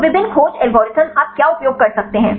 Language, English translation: Hindi, So, what are the various search algorithms you can use